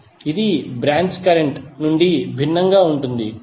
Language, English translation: Telugu, And it is different from the branch current